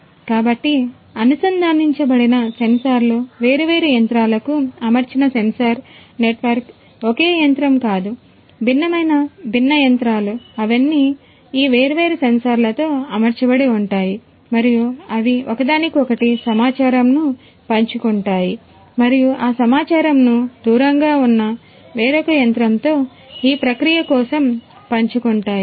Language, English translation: Telugu, So, the interconnected sensors, the sensor network which are fitted to the different machines not a single machine, but different, different machines, they are all fitted with these different sensors, and they can share the data between each other and also to a remote you know point where it has to be processed further